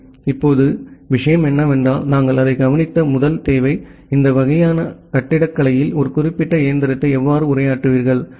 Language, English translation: Tamil, Well, now the thing is that so, the first requirement that we have looked into that, how will you address a particular machine in this kind of architecture